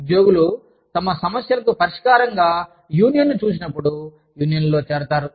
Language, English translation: Telugu, Employees join unions, when they see unionization, as a solution to their problems